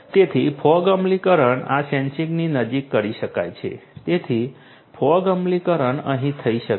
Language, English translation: Gujarati, So, fog implementation can be done closer to this sensing so, fog implementation can happen over here, but you know